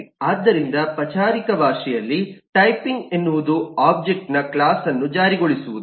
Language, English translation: Kannada, so in formal terms, the typing is the enforcement of the class of an object